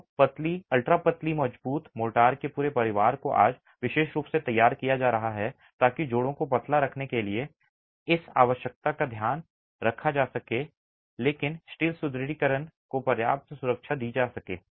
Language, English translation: Hindi, So, an entire family of thin, ultra thin, strong motors are being prepared today particularly to take care of this twin requirement of keeping joints thin but giving adequate protection to the steel reinforcement